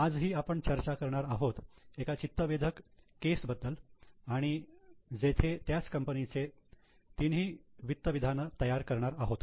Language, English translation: Marathi, Today we are going to discuss a very interesting case where for the same company we are going to prepare all the three financial statements